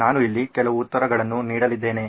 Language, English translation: Kannada, I’m going to give out some of the answers here